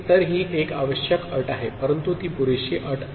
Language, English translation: Marathi, So, that is a necessary condition, but it is not a sufficient condition